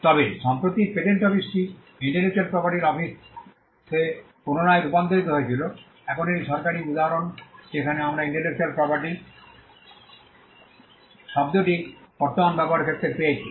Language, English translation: Bengali, But recently the patent office was rebranded into the intellectual property office, now so that is one official instance where we found the term intellectual property getting into current usage